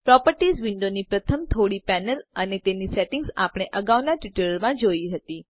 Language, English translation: Gujarati, We have already seen the first few panels of the Properties window and their settings in the previous tutorial